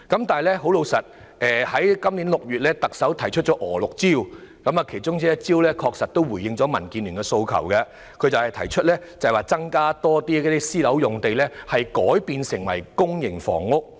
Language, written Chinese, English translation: Cantonese, 特首在今年6月提出"娥六招"，其中一招確實回應了民建聯的訴求，就是把更多私人樓宇用地改建為公營房屋。, The Chief Executive put forward LAMs six strokes in June this year and one of the strokes did respond to DABs aspiration for converting more private housing land for public housing production